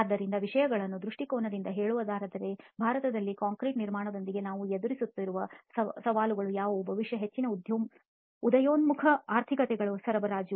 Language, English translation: Kannada, So just to put things in perspective what are the challenges that we face with concrete construction in India possibly the supplies to most emerging economies